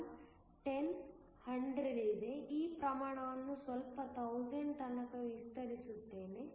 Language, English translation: Kannada, 1, 10, 100 let me just expand this scale a bit 1000